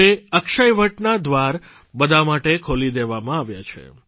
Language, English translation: Gujarati, Now the entrance gate of Akshayavat have been opened for everyone